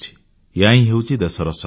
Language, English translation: Odia, This is the nation's strength